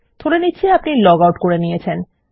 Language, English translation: Bengali, I assume that weve been logged out